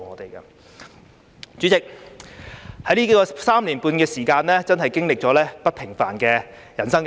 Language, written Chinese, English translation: Cantonese, 代理主席，在這3年半的時間，我真的經歷了不平凡的人生。, Deputy President in these three and a half years I have really experienced an extraordinary life